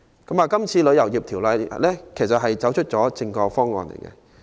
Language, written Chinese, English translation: Cantonese, 這項《旅遊業條例草案》其實走出了正確的方向。, I would say that the Travel Industry Bill the Bill is indeed on the right track